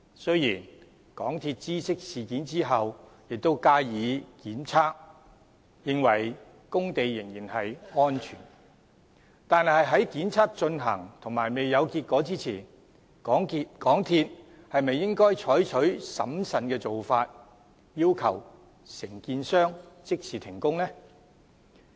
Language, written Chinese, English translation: Cantonese, 雖然港鐵公司知悉事件後加以檢測，認為工地仍然安全，但當檢測進行而未有結果前，港鐵公司是否應採取審慎的做法，要求承建商即時停工？, Although MTRCL had conducted a test after it became aware of the situation and considered the site safe shouldnt it adopt a cautious approach by requiring the contractor to immediately stop the works pending the results of the test?